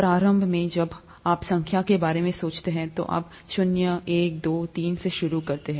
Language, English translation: Hindi, Initially when you think of numbers, you start from zero, one, two, three